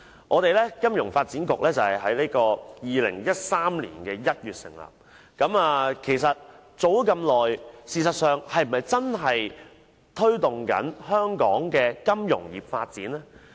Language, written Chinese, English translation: Cantonese, 金發局自於2013年1月成立以來，已經過一段頗長的日子，但該局是否真的在推動本港的金融業發展？, Established in January 2013 FSDC has operated for quite a long time . But has it really engaged in fostering the development of the Hong Kong financial industry?